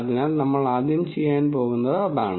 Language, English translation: Malayalam, So, that is the first thing that we are going to do